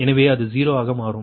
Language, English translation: Tamil, so this is zero, right